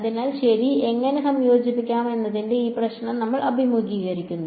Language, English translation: Malayalam, So, you are faced with this problem of how do I integrate ok